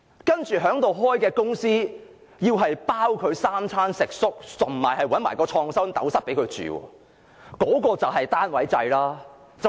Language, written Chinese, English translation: Cantonese, 在科學園開設的公司，政府要負責3餐食宿，甚至提供創新斗室給他們居住，那就是單位制。, For the companies that will open in the Science Park the Government will provide three meals and accommodation for the workers and will even provide InnoCell for them to live in . That is the system of unit